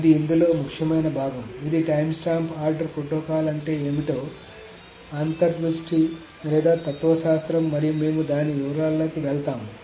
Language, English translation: Telugu, This is the, of course, the intuition of the philosophy of what the timestamp ordering protocol is, and we will go to the details of it next